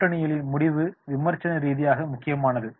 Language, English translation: Tamil, The alliance decision is critically important